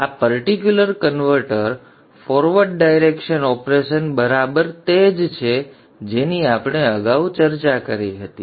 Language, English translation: Gujarati, Now this particular converter, the forward direction operation is exactly same as what we had discussed before